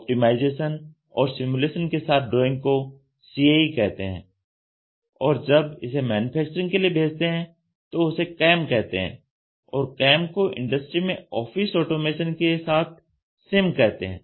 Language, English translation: Hindi, CAD is only the drawing, a drawing with simulation and optimization is CAE and which when it gets transferred for manufacturing it is called a CAM and CAM with the office automation in an industry is called as Computer Integrated Manufacturing